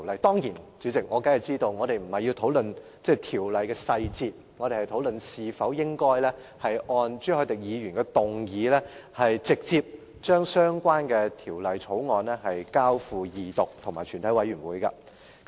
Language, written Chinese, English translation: Cantonese, 代理主席，我當然知道我們並非要討論《條例草案》的細節，而是討論應否按朱凱廸議員的議案，直接就相關《條例草案》進行二讀辯論和全體委員會審議階段。, Deputy President I definitely know that we are not going to discuss the details of the Bill but whether or not the motion proposed by Mr CHU Hoi - dick should be passed so that this Council will proceed to the Second Reading debate and the Committee stage of the Bill forthwith